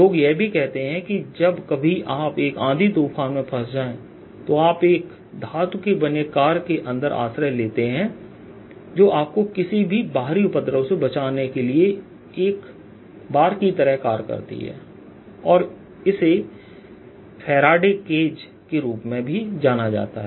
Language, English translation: Hindi, people also say sometimes when, if, if you are caught on a thunder storm, go inside a car which is made of metal, then you will be shelled it in any distributors outside and this is also known as faraday's cage